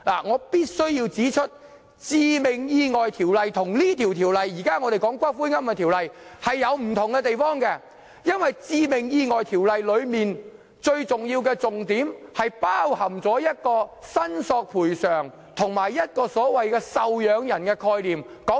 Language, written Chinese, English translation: Cantonese, 我必須指出《致命意外條例》與我們現在討論的《條例草案》有不同之處，因為《致命意外條例》最重要的重點是包括"賠償申索"和"受養人"的概念。, I must point out the difference between the Fatal Accidents Ordinance and the Bill we are now discussing because the most important element of the Fatal Accidents Ordinance covers the concepts of claim for damages and dependent